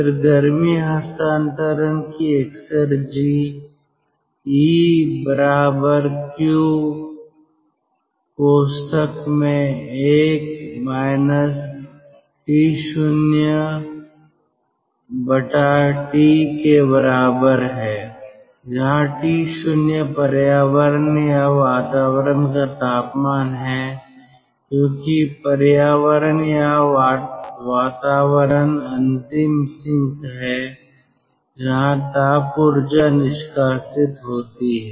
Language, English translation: Hindi, then exergy content of heat transfer, eq dot, that is equal to q dot, into one minus t zero by t, where t zero is the temperature of the environment or atmosphere, because environment or atmosphere is the ultimate sink where the thermal energy is dumped